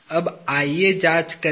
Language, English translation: Hindi, Now, let us examine